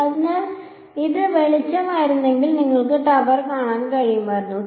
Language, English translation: Malayalam, So, if this were light would you be able to see the tower